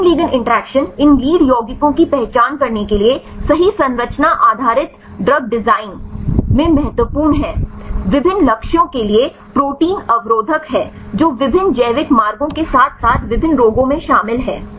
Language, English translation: Hindi, So, the protein ligand interactions are important in structure based drug design right for identifying these lead compounds right are the proteins inhibitors for various targets which involved in different biological pathways as well as in different diseases